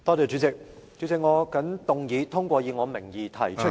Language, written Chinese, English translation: Cantonese, 主席，我謹動議通過以我名義提出的......, President I move that the motion proposed under my name be passed